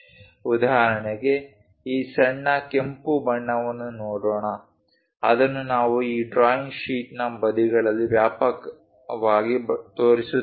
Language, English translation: Kannada, For example, let us look at this one this small red one, that one extensively we are showing it at sides the side of this drawing sheet